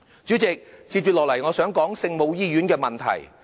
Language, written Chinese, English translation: Cantonese, 主席，接下來我想說聖母醫院的問題。, President next I wish to talk about the Our Lady of Maryknoll Hospital